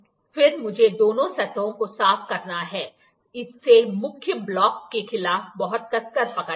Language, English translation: Hindi, I have to clean both the surface then, hold it very tightly against the main block